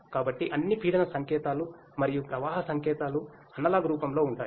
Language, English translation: Telugu, So, all the pressure sensor pressure signals and the flow signals are in analog form